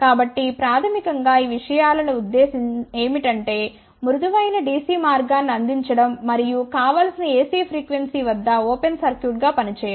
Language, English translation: Telugu, So, basically the purpose of these things is that to provide a smooth DC path and also act as an open circuit at the desired AC frequency